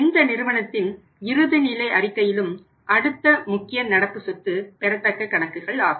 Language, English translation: Tamil, In the say balance sheet of any company the next important current asset is the accounts receivables